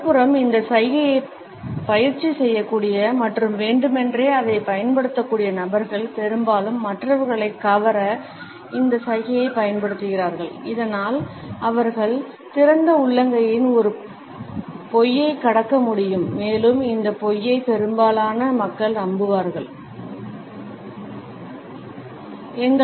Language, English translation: Tamil, On the other hand those people who are able to practice this gesture and are able to use it in an intentional manner often use this gesture to receive others so that they can pass on a lie within open palm and this lie would be trusted by most of the people